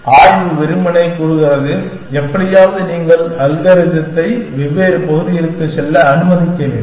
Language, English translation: Tamil, Exploration simply says that somehow you must allow the algorithm to go into different areas